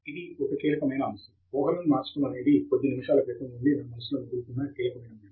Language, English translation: Telugu, That was a keyword; assumption was a keyword ringing in my mind just a few minutes ago